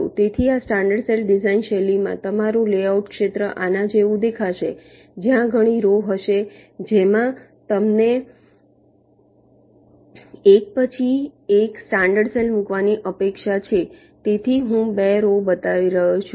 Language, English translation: Gujarati, so in this standard cell design style, your layout area will look like this, where there will be several rows in which you are expected to put in the standard cells one by one